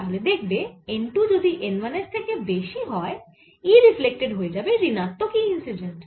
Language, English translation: Bengali, and we see that if n two is larger than n one, e reflected would be minus of e incident